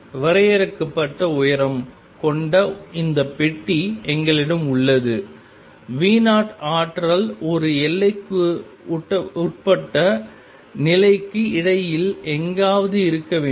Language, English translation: Tamil, We have this box of finite height V 0 energy must be somewhere in between for a bound state